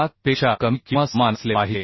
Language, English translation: Marathi, 12 and it has to be less than or equal to 4